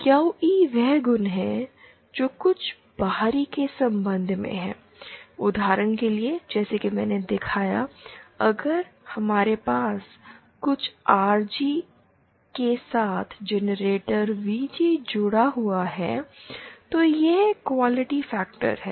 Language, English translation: Hindi, QE is the quality that with respect to some external, for example as I showed, if we have a generator VG with some RG connected, then this is the quality factor